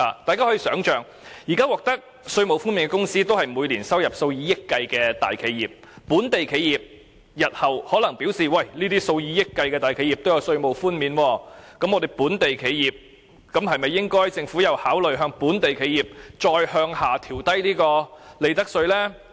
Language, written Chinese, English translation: Cantonese, 大家試想想，現時可享稅務寬減的公司都是每年收入數以億元計的大企業，所以本地企業日後亦會想，既然那些收入數以億元計的大企業都可以享有稅務寬免優惠，那麼政府是否應該考慮進一步調低本地企業的利得稅？, Let us think about this Given that companies currently enjoying tax concessions are large enterprises earning hundreds of millions of dollars every year local enterprises would be prompted to think that if large enterprises earning hundreds of millions of dollars can enjoy tax concessions should the Government consider further lowering the profits tax rates for local enterprises in the future?